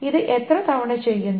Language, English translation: Malayalam, How many times this is being done